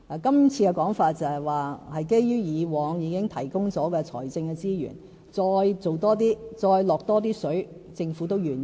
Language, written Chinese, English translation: Cantonese, 今次的說法是，在以往已經提供的財政資源之外再多做一些，再"落多些水"，政府也是願意的。, The Governments current position is that besides the financial resources that have already been earmarked we are willing to contribute more and increase our commitment because the issue has indeed dragged on for far too long